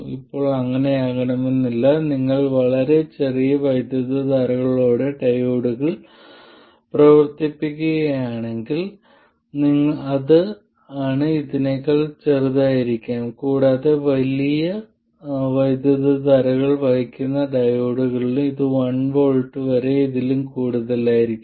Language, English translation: Malayalam, If you operate diodes with very small currents it could be smaller than this and also in diodes which carry very large currents it could be more than this even as much as 1 volt